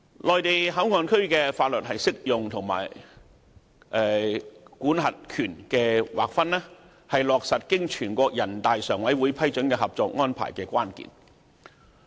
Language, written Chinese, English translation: Cantonese, 內地口岸區的法律適用和管轄權的劃分，是落實經全國人大常委會批准的《合作安排》的關鍵。, The application of the laws of the Mainland and the delineation of jurisdiction are keys to implementation of the NPCSC - approved Co - operation Arrangement